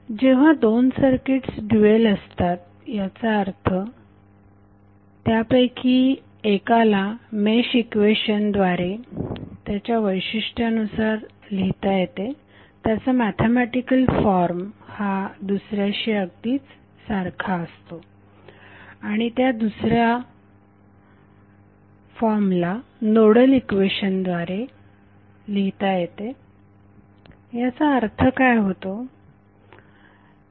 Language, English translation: Marathi, So when two circuits are dual that means the mesh equation that characterize one of them have the same mathematical form as the nodal equation characterize the other one, what does that mean